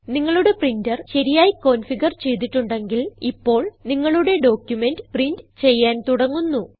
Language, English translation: Malayalam, If you have configured your printer correctly, your document will started printing